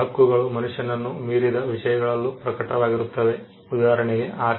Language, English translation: Kannada, There are also rights that manifest in things beyond the human being; with in for example property